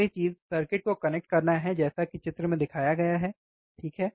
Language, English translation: Hindi, So, first thing is connect the circuit as shown in figure, this is the figure we will connect it, right